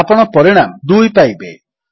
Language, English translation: Odia, You will get the result as 2